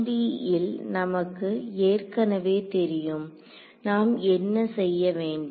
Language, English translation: Tamil, So, this we in 1 D we already know what to do